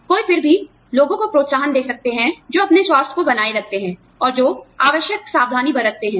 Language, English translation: Hindi, One can still, you know, give incentives to people, who maintain their health, and who take the necessary precautions